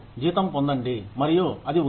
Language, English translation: Telugu, Get the salary, and it is up